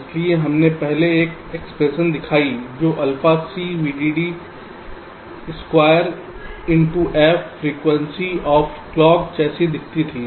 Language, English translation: Hindi, so we showed an expression earlier which looked like alpha c, v dd square into f, frequency of clock